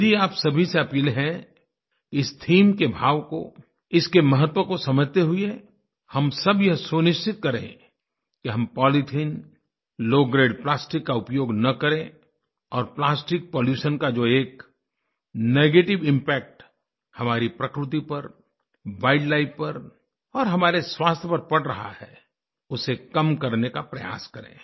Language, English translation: Hindi, I appeal to all of you, that while trying to understand the importance of this theme, we should all ensure that we do not use low grade polythene and low grade plastics and try to curb the negative impact of plastic pollution on our environment, on our wild life and our health